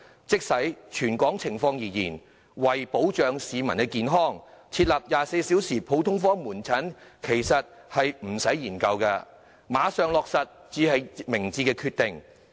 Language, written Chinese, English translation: Cantonese, 即使以全港情況而言，為保障市民健康，設立24小時普通科門診服務其實不用再花時間研究，馬上落實才是明智決定。, With respect to the territory - wide situation for the protection of public health there is actually no need to spend time on studying the introduction of 24 - hour general outpatient services . The wise decision should be putting this proposal into implementation immediately